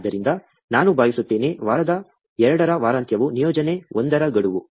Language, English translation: Kannada, So, I think, the weekend of the week 2 is the deadline for the assignment 1